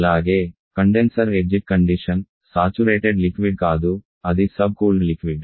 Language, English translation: Telugu, And also the condition exit condition is not of saturated liquid rather it is subcooled liquid